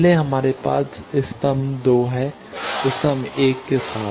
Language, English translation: Hindi, Earlier we have column 1 with column 2